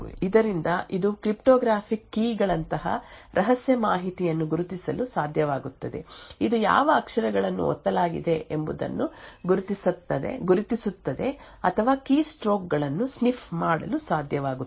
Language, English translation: Kannada, And from this it would be able to identify secret information like cryptographic keys, it would identify what characters have been pressed, or it would be able to sniff keystrokes and so on